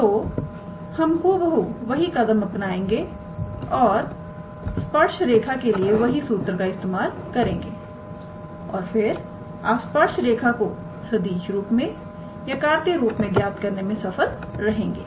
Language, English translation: Hindi, So, we will follow the similar steps and then use the same formula for the tangent line and you can be able to calculate the tangent line in the vector form or in the Cartesian form